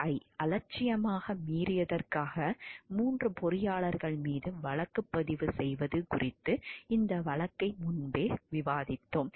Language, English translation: Tamil, So, we have already discussed this case earlier about the prosecution of 3 engineers for negligent violation of RCRA